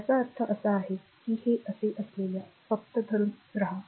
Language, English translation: Marathi, So, this I mean if it is like this just hold on right